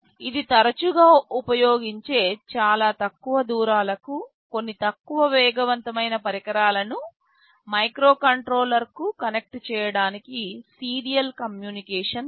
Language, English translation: Telugu, This is a serial communication bus that is very frequently used to connect some low speed devices to a microcontroller over very short distances